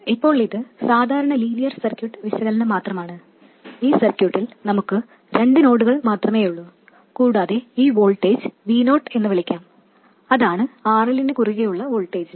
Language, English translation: Malayalam, Now this is just regular linear circuit analysis and we have only two nodes in the circuit and let me call this voltage VO, that is the voltage across RL